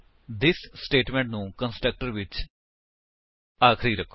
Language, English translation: Punjabi, Make the this statement the last one in the constructor